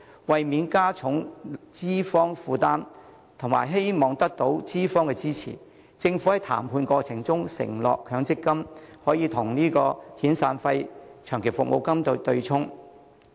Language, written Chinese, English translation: Cantonese, 為免加重資方負擔及希望得到資方支持，政府在談判過程中承諾強積金可與遣散費及長期服務金對沖。, To avoid adding to the employers burden and to seek their support during the negotiation process the Government promised that the MPF accrued benefits could be used to offset severance and long service payments